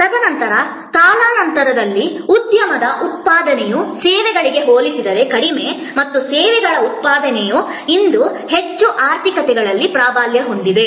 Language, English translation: Kannada, And then over time, industry output was less compare to services and services output dominates today most in the most economies